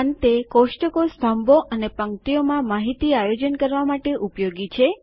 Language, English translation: Gujarati, Lastly, tables are used to organize data into columns and rows